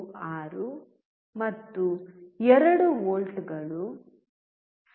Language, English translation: Kannada, 96 and 2 volts has 0